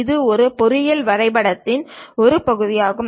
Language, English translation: Tamil, This is one part of engineering drawing